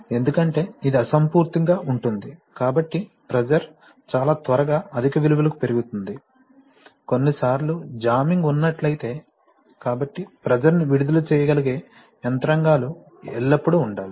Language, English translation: Telugu, Because it is incompressible, so the pressure can very quickly rise to high values sometimes if there is jamming, so therefore there are always mechanisms such that such pressures can be, has to be released